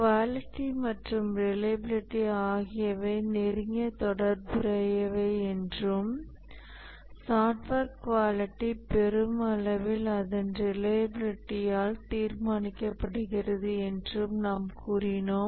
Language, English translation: Tamil, We had said that quality and reliability are closely related and the software quality to large extent is determined by its reliability